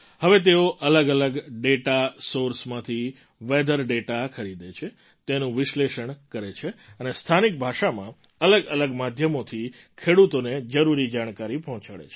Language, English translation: Gujarati, Now he purchases weather data from different data sources, analyses them and sends necessary information through various media to farmers in local language